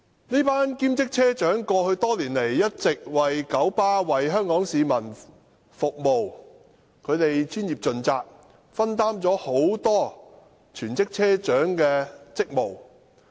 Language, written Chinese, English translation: Cantonese, 這群兼職車長過去多年來一直為九巴和香港市民服務，他們專業盡責，分擔了很多全職車長的職務。, This group of part - time bus captains have been serving KMB and the people of Hong Kong over the years . Professional and dedicated to their duties they shared the duties of many full - time bus captains